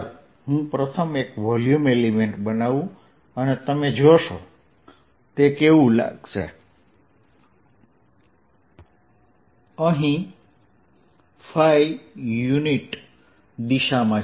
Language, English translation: Gujarati, let me first make one volume element and you will see what it looks like here in phi direction